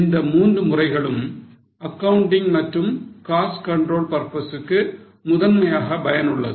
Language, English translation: Tamil, So these three are primarily useful for accounting as well as control purposes